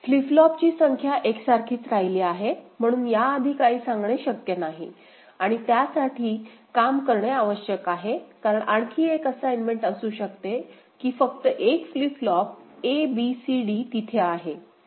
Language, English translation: Marathi, Number of flip flops remains the same ok, so that is something cannot be told in advance that need to be worked out and see, because one more assignment could be that only 1 flip flop, you know a, b, c, d it is there